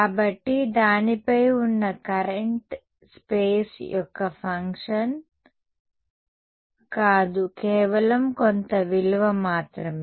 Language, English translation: Telugu, So, the current over it is not a function of space is just some value